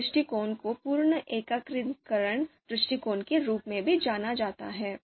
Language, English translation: Hindi, This approach is also referred to as full aggregation approach